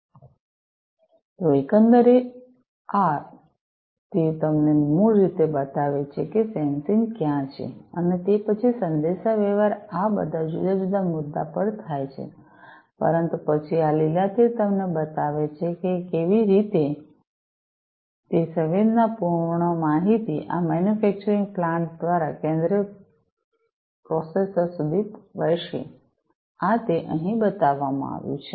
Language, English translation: Gujarati, So, overall this is how this these arrows basically show you where the sensing and then the communication took place the sensing took place at all of these different points, but then these green arrows will show you how those sensed data are going to flow through this through this manufacturing plant to the central processor, this is what is shown over here